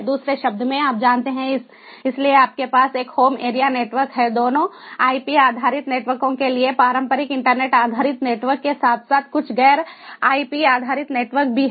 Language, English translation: Hindi, in other words, you know, so you have in a home area network support for both ip based networks, the traditional internet based networks, as well as there are some non ip based networks as well and there are gateways that would bridge multiprotocol gateway